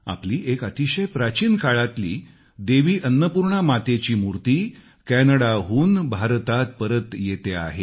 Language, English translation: Marathi, Every Indian will be proud to know that a very old idol of Devi Annapurna is returning to India from Canada